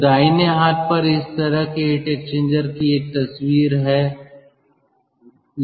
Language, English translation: Hindi, so on the right hand side there is a photograph of such heat exchanger